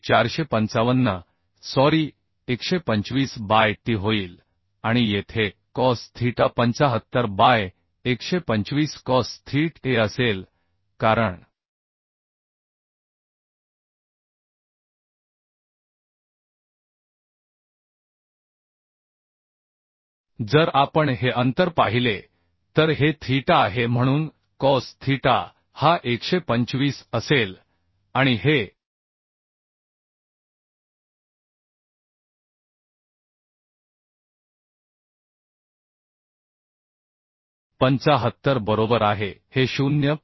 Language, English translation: Marathi, So this will become 455 sorry 125 by t and here cos theta will be 75 by 125 cos thet a because if we see the distance this is this is theta so cos theta will be this is 125 and this is 75 right